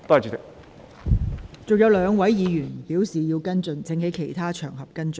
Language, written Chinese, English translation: Cantonese, 尚有兩位議員正在輪候提問，請他們在其他場合跟進。, Two Members are still waiting for their turn to ask questions . I would like to ask them to follow up the matter on other occasions